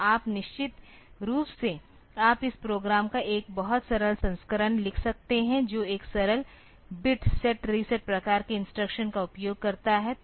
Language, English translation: Hindi, So, you definitely, you can write a much simpler version of this program that uses a simple bit set reset type of instructions